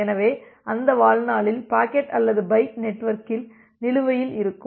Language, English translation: Tamil, So, within that life time the packet or the byte can be outstanding in the network